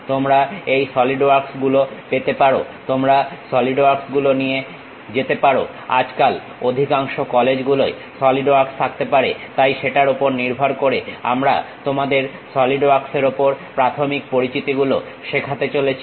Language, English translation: Bengali, You can find these solidworks, you can go through solidworks, most of the colleges these days might be having solid work, so, based on that we are going to teach you basic preliminaries on solidworks